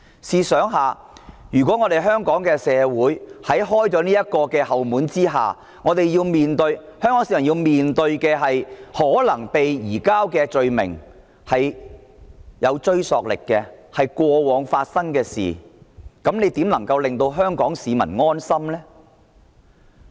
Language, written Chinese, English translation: Cantonese, 試想一想，如果香港社會打開這道後門後，香港市民便要面對被移交的權力有追溯力的問題，試問局長如何能夠令香港市民安心？, Imagine that when Hong Kong opens this back door Hong Kong people will have to face the problem that the power to surrender them will have retrospective effect . How can the Secretary make Hong Kong people rest assured?